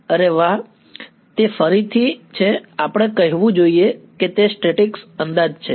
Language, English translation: Gujarati, Yeah, well that is again should we say that is the statics approximation